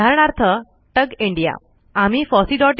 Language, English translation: Marathi, For example, contact TUG India